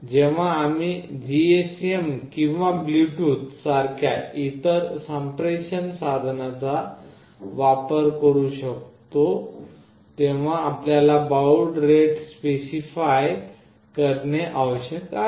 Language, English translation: Marathi, When we can use other communicating devices like the GSM or Bluetooth, you need to specify that rate here